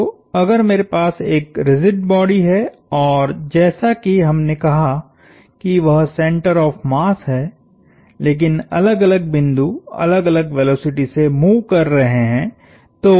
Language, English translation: Hindi, So, if I have a rigid body and like we said there is a center of mass, but different points are moving at the different velocities